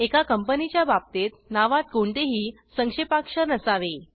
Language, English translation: Marathi, In case of a Company, the name shouldnt contain any abbreviations